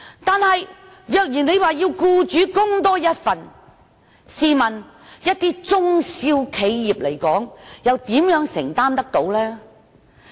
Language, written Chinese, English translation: Cantonese, 但是，如果要求僱主多作一份供款，試問一些中小型企業又如何能承擔呢？, However how on earth can small and medium enterprises afford the expenses if employers are required to make further contributions accordingly?